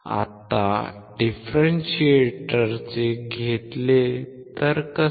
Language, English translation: Marathi, How about we take a differentiator